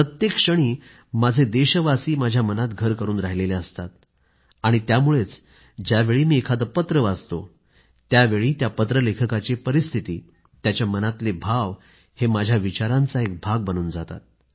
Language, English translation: Marathi, My countrymen stay in my heart every moment and that is how the writer's situation and ideas expressed in the letter become part of my thought process